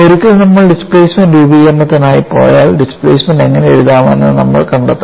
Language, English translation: Malayalam, And once we go for displacement formulation, we have to find out how to write the displacement, we have already seen